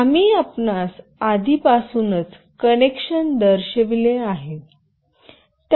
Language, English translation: Marathi, We have already shown you the connection